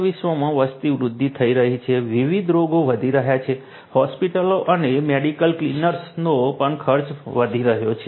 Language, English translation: Gujarati, Populations are ageing all over the world; different diseases are increasing; expenditure of hospitals can medical clinic are also increasing